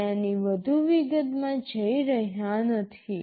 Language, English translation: Gujarati, We are not going into too much detail of this